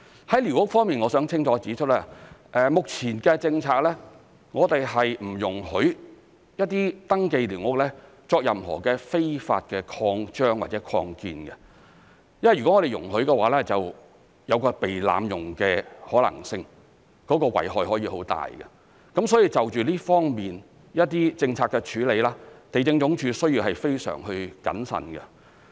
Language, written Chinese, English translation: Cantonese, 在寮屋方面，我想清楚指出，根據目前的政策，我們不容許一些登記的寮屋作任何非法的擴張或擴建，因為若我們容許的話，就有被濫用的可能性，遺害可以很大，所以就這方面的政策處理，地政總署要非常謹慎。, We will take that into further consideration . As for squatter structures I wish to point out clearly that under the current policy we do not allow any illegal extension or expansion of surveyed squatter structures because this practice if allowed is potentially open to abuse and may cause great harm . Therefore the Lands Department must be very careful when handling the policy in this respect